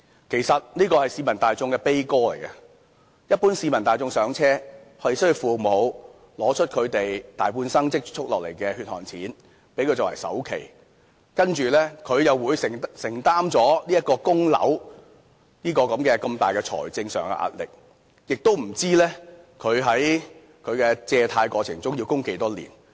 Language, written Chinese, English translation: Cantonese, 其實這是市民的悲歌，一般市民"上車"，是需要父母拿出他們大半生積蓄下來的血汗錢，給他們作為首期，接着他們又要承擔供樓這個如此大的財政上壓力，亦不知道他們的樓宇貸款要供多少年。, This is in fact an elegy of the general public which tells that one needs his parents many years of hard - earned savings to cover the down payment of his first flat and he will then need to shoulder such a huge financial burden of paying home mortgage without any idea how many years he will need to pay off the mortgage